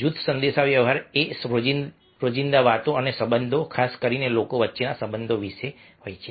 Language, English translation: Gujarati, group communication is all about everyday talk and relationship, especially the relationship between people